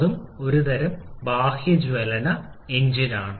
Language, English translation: Malayalam, That is also a kind of external combustion engine